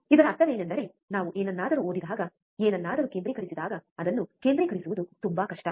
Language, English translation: Kannada, the point of this is whenever we look at something we read at something, it is very hard to concentrate